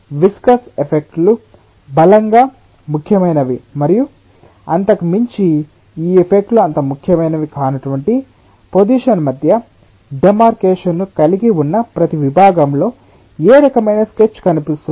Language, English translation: Telugu, see, at every section we are having a demarcation between a position below which viscous effects are strongly important and beyond which this effects are not so important